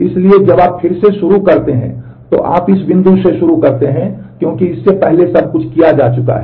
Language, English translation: Hindi, So, when you start in the redo phase, you start from this point because before that everything has been done